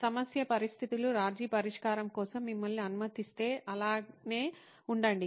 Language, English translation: Telugu, If the problem conditions allow you to go for a compromise solution, so be it